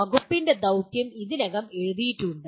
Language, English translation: Malayalam, There is the mission of the department which is already written